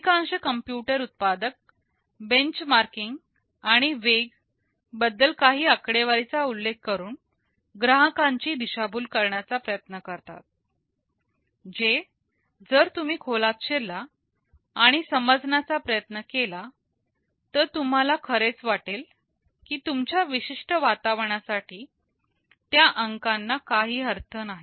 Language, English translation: Marathi, Most of the computer manufacturers try to mislead the customers by quoting some figures with respect to benchmarking and speeds, which if you dig deeper and try to understand, you will actually feel that for your particular environment those numbers make no sense